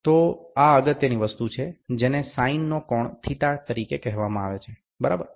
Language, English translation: Gujarati, So, this is the important thing, which is said as the sine of angle theta, ok